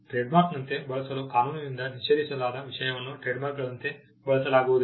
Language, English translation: Kannada, A matter prohibited by law to be used as trademark cannot be used as a trademark